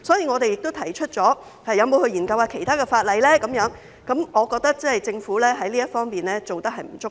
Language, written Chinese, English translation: Cantonese, 我們亦提出是否有需要研究其他法例，所以我認為政府在這方面做得不足夠。, We have also raised the question of whether it is necessary to look into other legislation . I think the Governments effort is inadequate in this regard